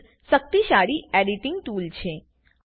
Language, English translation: Gujarati, This is a powerful editing tool